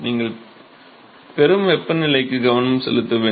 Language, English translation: Tamil, So, you have to pay attention to the temperature that you get